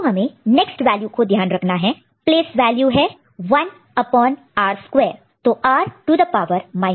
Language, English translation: Hindi, So, this is we have to keep note of the next value place value is 1 upon r square, so r to the power minus 2